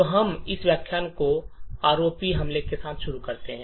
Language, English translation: Hindi, So, let us start this particular lecture with what is the ROP attack